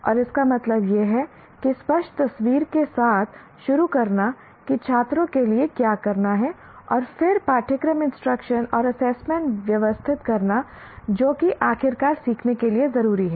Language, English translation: Hindi, And this means starting with clear picture of what is important for students to be able to do and then organizing the curriculum, instruction and assessment to make sure the learning ultimately happens